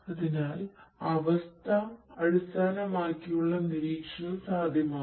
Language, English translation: Malayalam, So, condition based monitoring is going to be possible